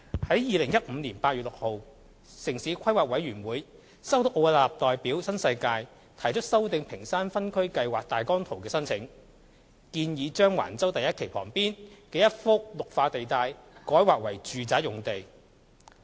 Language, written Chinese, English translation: Cantonese, 在2015年8月6日，城市規劃委員會收到奧雅納代表新世界提出修訂屏山分區計劃大綱圖的申請，建議將橫洲第1期旁邊的一幅"綠化地帶"改劃為"住宅"用地。, On 6 August 2015 the Town Planning Board TPB received an application from Arup made on behalf of NWD for amending the Ping Shan Outline Zoning Plan which proposed to rezone a Green Belt land adjacent to the Phase 1 development at Wang Chau to Residential